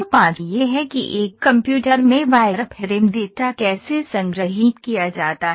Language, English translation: Hindi, This is how a wireframe data is stored in a computer